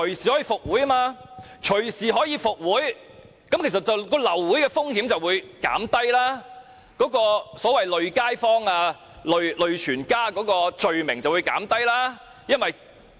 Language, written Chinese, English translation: Cantonese, 由於流會後可隨時復會，流會的風險便會減低，"累街坊"、"累全家"的罪名便會減低。, As a meeting can be resumed at any time following its abortion the risk of the meeting being aborted will be reduced and the crime of affecting the public or affecting ones political party will be minimized